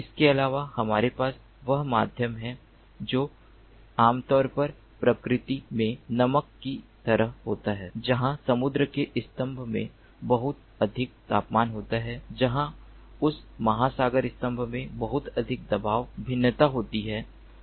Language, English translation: Hindi, also, in addition, we have the medium, which is typically like saline in nature, where there is lot of temperature, very in the ocean column, where there is lot of pressure variation in that ocean column